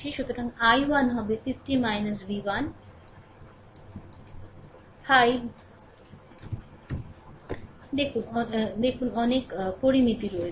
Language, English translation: Bengali, So, i 1 will be 50 minus v 1 by 5 look so many parameters are there